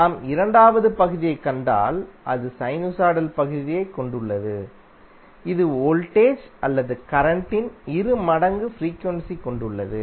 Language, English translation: Tamil, While if you see the second part, it has the sinusoidal part which has a frequency of twice the frequency of voltage or current